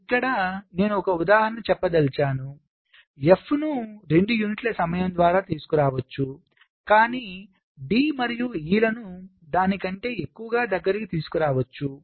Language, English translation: Telugu, let say, here i am give an example: f i can bring together by two units of time, but d and e i can bring together further, more than that